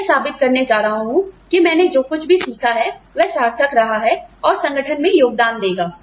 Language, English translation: Hindi, How I am going to prove that, whatever I have learnt, has been worthwhile, and will contribute to the organization